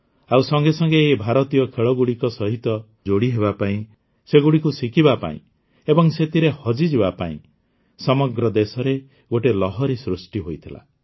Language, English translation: Odia, Immediately at that time, a wave arose in the country to join Indian Sports, to enjoy them, to learn them